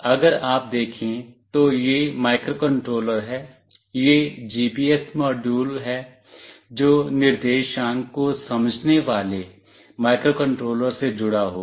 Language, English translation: Hindi, If you see this is the microcontroller, this is the GPS module, which will be connected with the microcontroller that will sense the coordinates